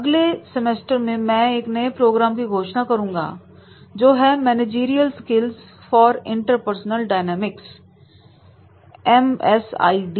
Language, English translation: Hindi, In the next semester I will also announce one program that is MSID managerial skills for the interpersonal dynamics